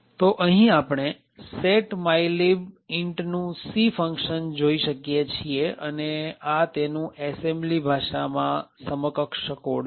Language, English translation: Gujarati, So, what we see over here is the C function for setmylib int and the assembly equivalent is here